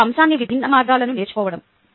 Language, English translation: Telugu, it is about learning diverse ways to the same subject